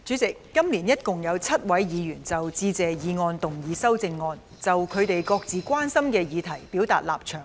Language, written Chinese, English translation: Cantonese, 主席，今年一共有7位議員就致謝議案動議修正案，就他們各自關心的議題表達立場。, President this year a total of seven Members have proposed amendments to the Motion of Thanks to express their stance on matters that they are concerned about